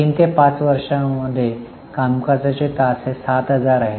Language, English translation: Marathi, In year 3 to 5 to 5, the estimated number of hours are 7,000